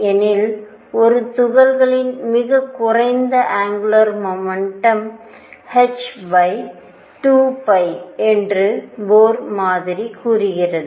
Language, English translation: Tamil, Because Bohr model says that lowest angular momentum for a particle is h over 2 pi